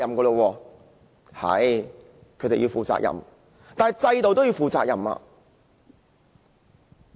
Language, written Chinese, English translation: Cantonese, 對，他們要負上責任，但制度同樣要負上責任。, Right they have to bear the responsibility but the system is also responsible